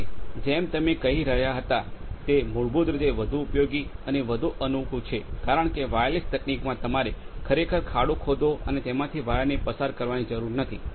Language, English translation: Gujarati, And as you were saying that, it is more useful and more convenient basically because wireless technology you do not have to really the dig wires and through that